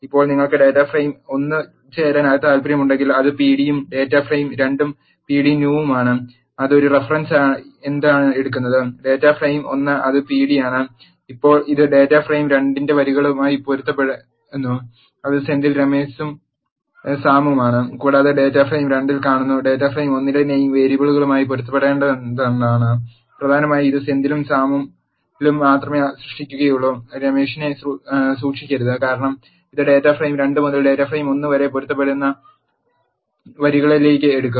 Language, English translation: Malayalam, So now, if you want to left join data frame 1 which is pd and data frame 2 which is p d new, what it takes as a reference is, the data frame 1 which is p d and now it matches the rows of the data frame 2, which is Senthil Ramesh and Sam and sees in the data frame 2, what is matching with the name variables in the data frame 1, essentially it will keep only Senthil and Sam and not keep Ramesh, because it will take to matching rows from the data frame 2 to the data frame 1